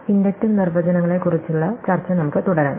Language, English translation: Malayalam, Let us continue our discussion of inductive definitions